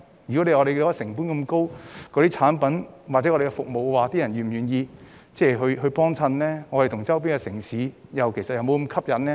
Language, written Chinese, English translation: Cantonese, 如果我們的產品或服務的成本很高，是否有人願意購買呢？跟周邊城市比較又是否吸引呢？, If the costs of our products or services are very high is there anyone willing to buy then? . Will our products or services be attractive compared with those of our neighbouring cities?